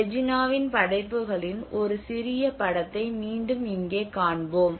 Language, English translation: Tamil, A small film of Reginaís work will be again shown here